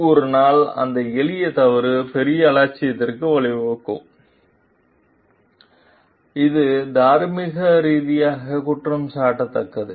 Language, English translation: Tamil, So, one day that sound simple mistake may result in bigger negligence that is what is morally blameworthy